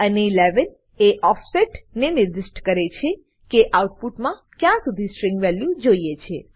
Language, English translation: Gujarati, And 11 specify the offset upto where we want the string to be in the output